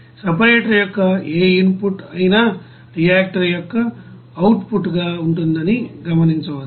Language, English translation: Telugu, So you will see that whatever you know input of the separator that of course will be output of the reactive